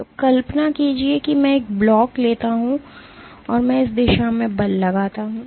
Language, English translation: Hindi, So, imagine I take a block, and I exert force in this direction